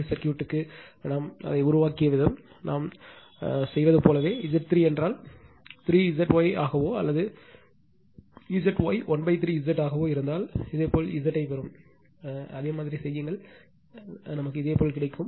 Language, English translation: Tamil, The way we have made it for DC circuit, same way we do it; you will get Z if Z delta is will be 3 Z Y right or Z Y will be 1 by 3 Z delta same way you do it, you will get it right